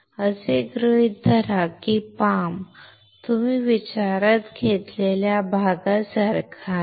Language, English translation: Marathi, So, assume that this palm is like this portion you consider